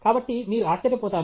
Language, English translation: Telugu, So, you would have wondered